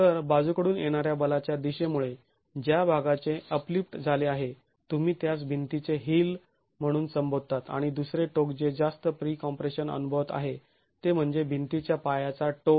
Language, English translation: Marathi, So, the portion that has undergone uplift because of the direction of the lateral force, we refer to that as the heel of the wall and the other end which is now experiencing higher pre compression is the toe of the wall